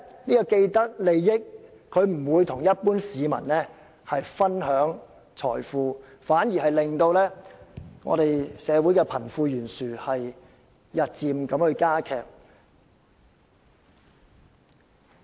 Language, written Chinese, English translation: Cantonese, 然而，既得利益者不會與一般市民分享財富，反而導致社會貧富懸殊日漸加劇。, As people with vested interests would not share their wealth with the general public the disparity between the rich and the poor would be further aggravated